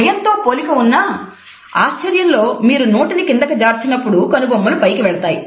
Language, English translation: Telugu, So, very similar to fear, but surprises when you drop your mouth down and your eyebrows raise